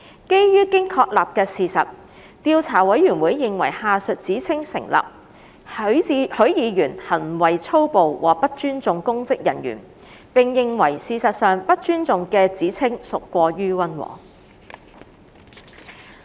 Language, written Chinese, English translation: Cantonese, 基於經確立的事實，調査委員會認為下述指稱成立：許議員行為粗暴和不尊重公職人員；並認為事實上"不尊重"的指稱屬過於溫和。, Based on the established facts the Investigation Committee considers that the allegation that Mr HUI acted violently and showed no respect to a public officer has been substantiated and in fact showing no respect is too mild an allegation